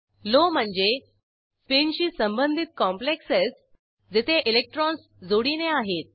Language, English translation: Marathi, Low means spin paired complexes where electrons are paired up